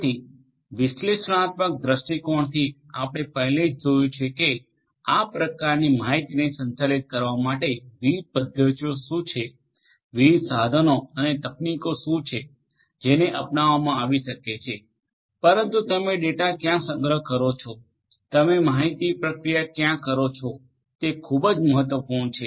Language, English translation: Gujarati, So, from an analytics point of view we have already seen that what are the different methodologies, what are the different tools and techniques that could be adopted in order to handle this kind of data, but where do you store the data, where do you process the data, that is very important